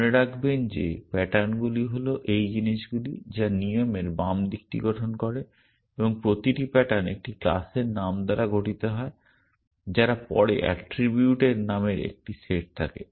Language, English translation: Bengali, Remember that patterns are these things which are will which constitutes the left hand side of a rule and each pattern is made up of a class name followed by a set of attribute name